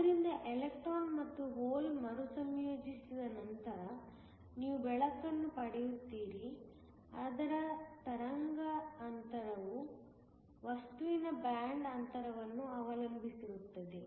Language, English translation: Kannada, So, that once the electron and hole recombines, you get light whose wavelength depends upon the band gap of the material